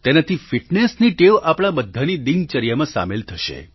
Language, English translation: Gujarati, This will inculcate the habit of fitness in our daily routine